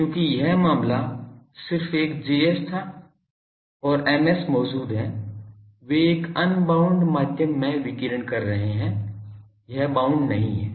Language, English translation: Hindi, Because this case was just a Js and Ms present they are radiating in an unbounded medium not this is bounded that is bounded